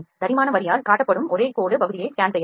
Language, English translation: Tamil, Scan the only the line segment is shown by the thick line can be scanned